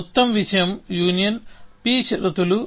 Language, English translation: Telugu, The whole thing union p conditions of a